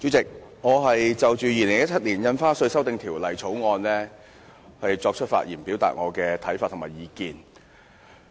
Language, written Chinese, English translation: Cantonese, 主席，我就《2017年印花稅條例草案》發言，表達我的看法和意見。, President I would like to speak on the Stamp Duty Amendment Bill 2017 the Bill and give my advice